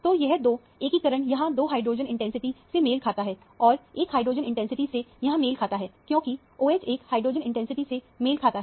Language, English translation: Hindi, So, these two – the integration corresponds to two hydrogen intensity here and one hydrogen intensity here, because the OH corresponds to one hydrogen intensity